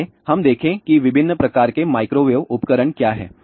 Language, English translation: Hindi, Let us look at what are the different types of microwave equipment